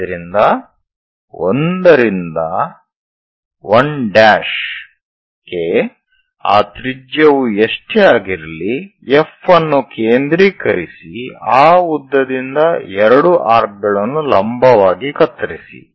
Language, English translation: Kannada, So 1 to 1 prime whatever that radius pick that length from F as centre cut two arcs on the perpendicular